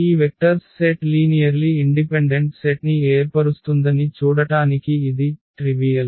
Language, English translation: Telugu, So, this trivial to see that this vector this set of vectors form a linearly independent set